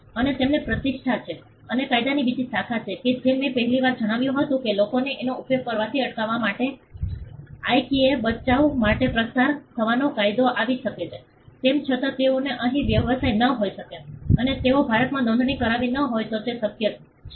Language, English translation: Gujarati, And they have a reputation and there is another branch of law, as I mentioned earlier a law of passing of can come to IKEA rescue to stop people from using it though, they may not have business here, and they may not have registered it in India so, it is possible